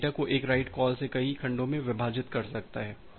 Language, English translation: Hindi, Or split data from one write call into multiple segments